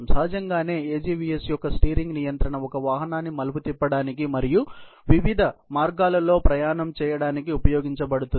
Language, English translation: Telugu, Obviously, steering control of an AGVS can control the vehicle to negotiate a turn and to maneuver physically, in different ways